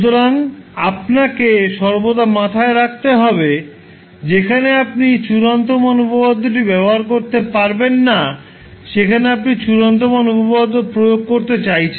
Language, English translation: Bengali, So you have to always keep in mind where you can apply the final value theorem where you cannot use the final value theorem